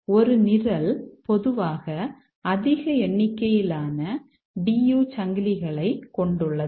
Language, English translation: Tamil, A program typically has a large number of D U chains